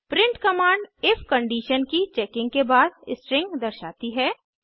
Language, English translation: Hindi, print command displays the string after checking the if condition